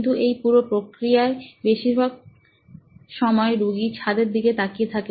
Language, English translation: Bengali, But all the patient sees during the entire process most of the time is the roof